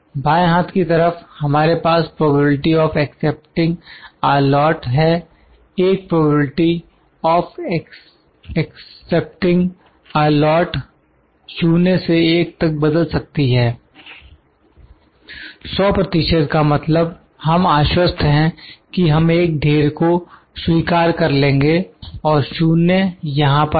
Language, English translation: Hindi, On the left hand side, we have probability of accepting a lot; probability of accepting a lot may vary from 0 to 1, 100 percent is we are sure that we accept a lot and 0 is here